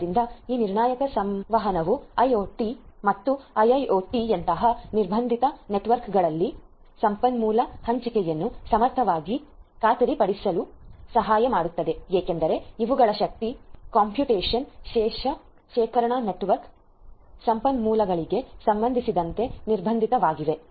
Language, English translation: Kannada, So, this deterministic communication will help in ensuring provisioning of resource allocation efficiently in constraint networks such as IoT and IIoT constraint because these are constraint with respect to energy, constraint with respect to computation storage network resources and so on